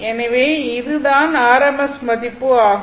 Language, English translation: Tamil, So, this is your rms value